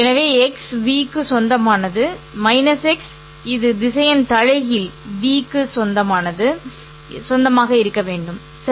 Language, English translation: Tamil, So, x belongs to v minus x which is the vector inverse must also belong to v itself